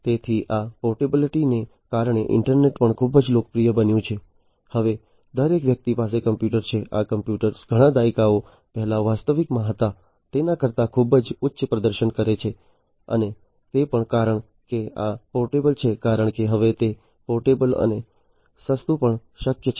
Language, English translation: Gujarati, So, because of this portability the internet has also become very popular, everybody now owns a computer, these computers are very high performing than what is to exist several decades back, and also because these are portable now it is possible portable and cheap also these computers are very much cheap